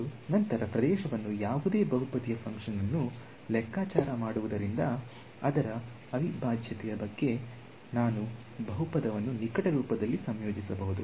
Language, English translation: Kannada, And, then compute the area any polynomial function the advantage is that what about its integral, I can integrate a polynomial in close form right